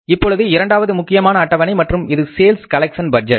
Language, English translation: Tamil, Now the second schedule is the important schedule and this schedule is sales collection budget